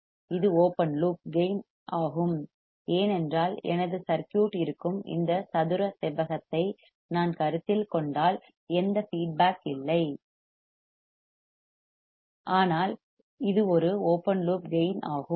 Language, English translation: Tamil, This is the open loop gain because if I just consider this square right rectangle in which my circuit is there then there is no feedback and that is why it is an open loop gain